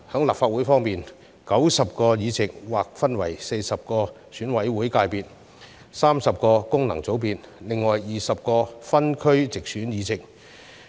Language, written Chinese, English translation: Cantonese, 立法會方面 ，90 個議席劃分為40席由選委會界別選出、30席由功能界別選出，另有20席為分區直選議席。, In respect of the Legislative Council the 90 seats will be made up by 40 seats returned by EC constituency 30 seats by functional constituencies and the remaining 20 seats by geographical constituencies through direct elections